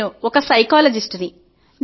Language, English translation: Telugu, I am a psychologist